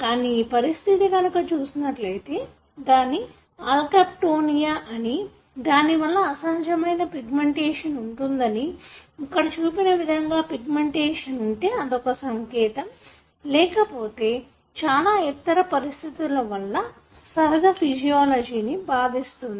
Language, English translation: Telugu, So, what he has looked at is a condition, called Alkaptonuria in which you have abnormal pigmentation like that you see here and these pigmentations is one of the symptoms, but the patient otherwise have several other conditions, which affect their normal physiology